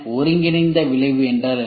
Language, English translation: Tamil, What is a combined effect